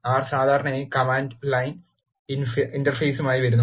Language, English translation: Malayalam, R generally comes with the Command line interface